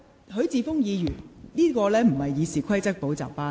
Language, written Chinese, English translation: Cantonese, 許智峯議員，現在並非《議事規則》補習班。, Mr HUI Chi - fung we are not attending a class in RoP